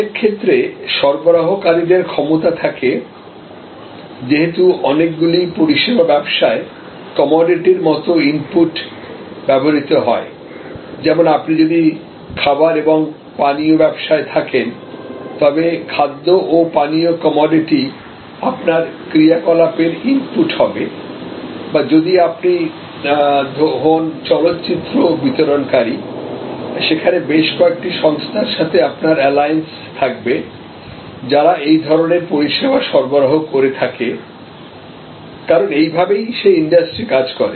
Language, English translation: Bengali, Suppliers in many cases have power, but since many service businesses as inputs take almost commodity items, like if you are in food and beverage then it will be the food and beverage commodity items which will be inputs to your operations or if you are actually a movie distributor and in a movie distribution service, then there will be a number of service suppliers and many of them will be in alliance with your organization, because that is the nature of that industry